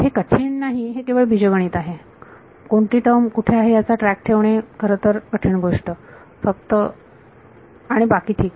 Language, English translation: Marathi, So, this is not difficult it is just algebra keeping track of which term is where and all right the only difficulty actually